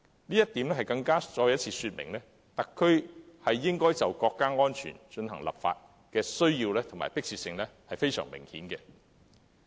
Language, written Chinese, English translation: Cantonese, 這亦再次說明特區就國家安全進行立法，是明顯有需要和迫切性。, Again this demonstrates the obvious need and urgency for the Special Administrative Region to enact legislation for national security